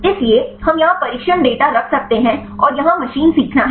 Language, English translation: Hindi, So, we can have the training data here and here this is the machine learning